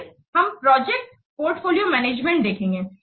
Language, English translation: Hindi, So let's first see what this project portfolio management provides